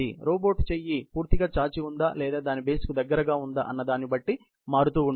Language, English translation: Telugu, It keeps on changing, whether the robot is fully stretched or the robot is in its base position